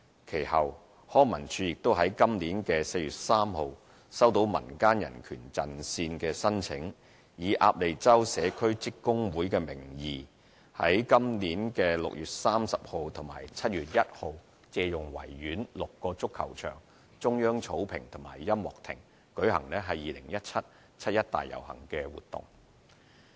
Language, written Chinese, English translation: Cantonese, 其後，康文署於本年4月3日收到民間人權陣線的申請，以"鴨脷洲社區職工會"名義，於本年6月30日及7月1日借用維園6個足球場、中央草坪及音樂亭，舉行 "2017 七一大遊行"活動。, Subsequently on 3 April 2017 LCSD received an application from the Civil Human Rights Front CHRF under the name of Ap Lei Chau Community Trade Union ALCCTU for booking the six soccer pitches Central Lawn and Band Stand at the Victoria Park from 30 June to 1 July 2017 for the public procession on 1 July 2017